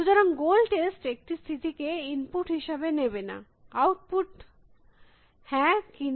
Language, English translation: Bengali, So, goal test will take a state as an input and output either yes or no